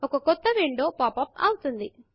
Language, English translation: Telugu, A new window pops up